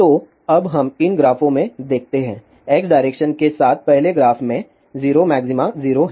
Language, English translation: Hindi, So, now let us see in these graphs, in the first graph along x direction, there is 0 maxima 0